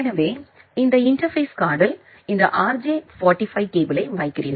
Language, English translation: Tamil, So, you put this RJ45 cable in this interface card